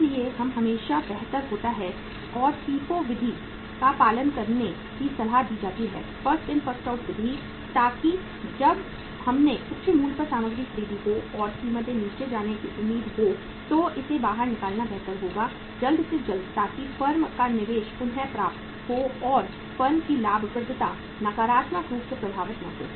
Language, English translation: Hindi, So it is always better and means advisable to follow the FIFO method First In First Out Method so that when we have purchased the material at the high price and the prices are expected to go down so it is better to take it out as early as possible so that the firm’s investment is recovered and firm’s profitability is not negatively impacted